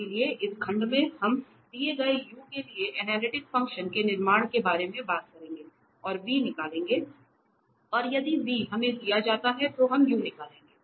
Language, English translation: Hindi, So, in this section we will be talking about the construction of analytic functions for given u we will find its v and if given v we will find u